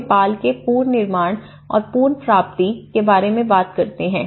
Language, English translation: Hindi, Now, we talk about the reconstruction and recovery of Nepal